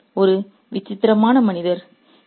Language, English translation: Tamil, You're a strange man